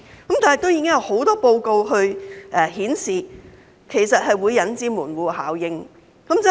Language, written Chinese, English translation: Cantonese, 不過，已經有很多報告顯示，這其實是會引致"門戶效應"的。, However many reports have indicated that this will indeed bring about a gateway effect